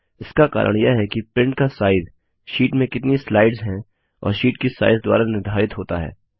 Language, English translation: Hindi, This is because the size of the print is determined by the number of slides in the sheet and size of the sheet